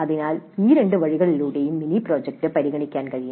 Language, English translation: Malayalam, So it is possible to consider the mini project in either of these two ways